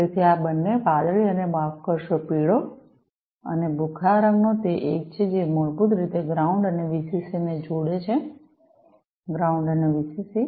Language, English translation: Gujarati, So, these two the blue and sorry the yellow, and the gray colored ones they are the ones, which basically connect the ground and the VCC; ground and the VCC